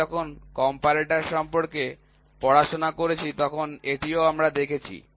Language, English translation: Bengali, This also we saw when we studied about the comparator